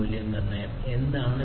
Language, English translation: Malayalam, What is the value proposition